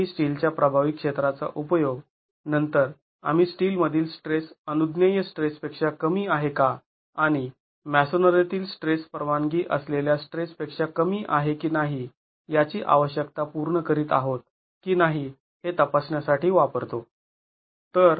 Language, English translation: Marathi, We use the effective area of steel to then check if we are satisfying the requirements that the stress in steel is less than the permissible stress and whether the stress in masonry is less than the permissible stress in masonry